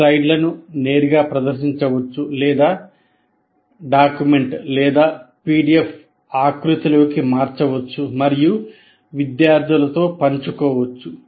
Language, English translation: Telugu, The slides presented can also be converted into a doc or a PDF format and shared with the computer, with the students